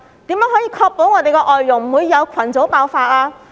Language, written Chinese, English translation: Cantonese, 如何確保外傭不會有群組爆發？, How can he ensure that there will not be any outbreak in FDH groups?